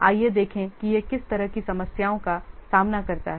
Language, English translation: Hindi, Let's see what kind of problems it faces